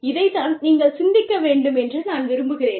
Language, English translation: Tamil, And, this is what, I would really like you to think about